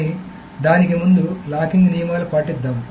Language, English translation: Telugu, But before that, let us go through the rules of locking